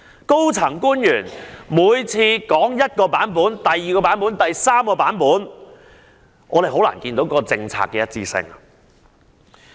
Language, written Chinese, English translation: Cantonese, 高層官員一而再、再而三說出不同的版本，令人難以看到政策的一致性。, Senior officials have time and again given different versions of responses making it impossible for people to notice any policy coherence